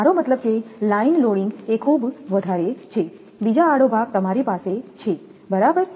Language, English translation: Gujarati, I mean line loading is very high another cross arm you have this right